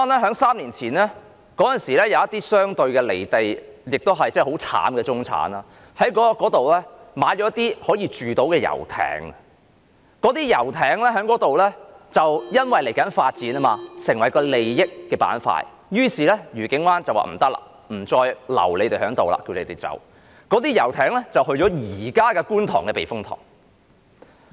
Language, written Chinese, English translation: Cantonese, 在3年前，愉景灣有一些相對"離地"及很悽慘的中產人士，他們在那裏購買了一些可居住的遊艇，而因為那裏接下來要發展，便成為了利益的板塊，於是愉景灣便說不行，不可以再把它們留在那裏，要求它們離開。, Three years ago some miserable middle - class people who were relatively detached from reality had purchased some livable yachts in Discovery Bay . As development would be carried out there it then became a zone of interests . As such Discovery Bay indicated that those yachts could no longer stay there and asked them to leave